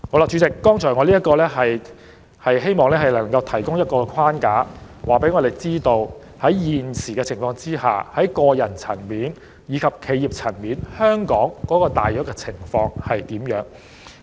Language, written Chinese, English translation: Cantonese, 主席，我以剛才列舉的資料作為框架，讓大家了解到現時在這一框架下，香港在個人和企業層面的稅務情況大致為何。, Chairman the information that I have presented just now provides a framework to show a general picture of the tax situation at both personal and corporate levels